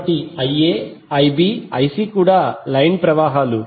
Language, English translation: Telugu, So these Ia, Ib, Ic are also the line currents